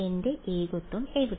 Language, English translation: Malayalam, Where is my singularity